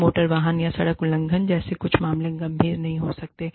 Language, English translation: Hindi, Some cases like, motor vehicle or road violations, may not be, that serious